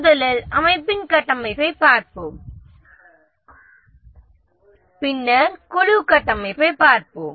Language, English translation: Tamil, First let's look at the organization structure, then we'll look at the team structure